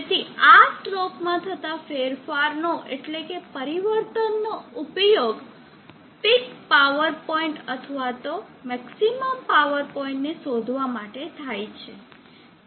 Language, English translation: Gujarati, So this transition this is change in the slope of the power is used for tracking the peak power point or the maximum power point